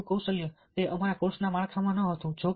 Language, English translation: Gujarati, interview skills: it was not within the a framework of our course